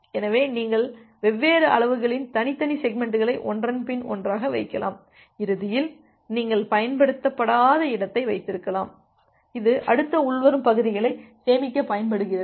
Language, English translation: Tamil, So, you can put individual segments of different sizes one after another and ultimately you can have a unused space which can be used to store the next incoming segments